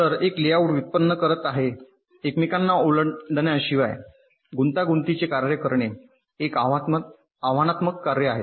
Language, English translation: Marathi, so generating a layout for a complex function without the lines crossing each other is a challenging task